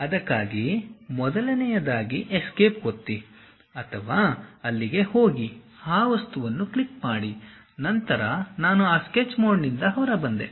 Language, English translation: Kannada, First of all for that either press escape or go there click that object, then I came out of that Sketch mode